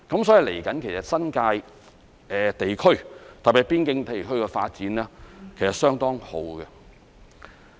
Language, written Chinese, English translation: Cantonese, 所以，接下來，新界地區特別是邊境地區的發展其實是相當好的。, For that reason the subsequent development in the New Territories in particular the boundary area is quite promising